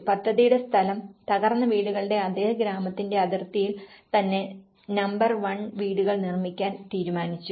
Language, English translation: Malayalam, First of all, the site of the project it was decided that the houses will be built in the same village boundaries as the demolished houses that is number 1